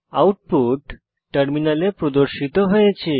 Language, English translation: Bengali, The output will be as displayed on the terminal